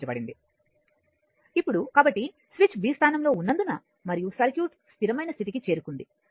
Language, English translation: Telugu, So, because switch is in position b and the circuit reached the steady state